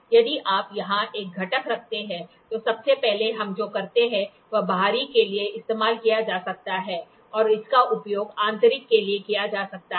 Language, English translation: Hindi, If you put a component here, so, first what we do is this can be used for external and this can be used for internal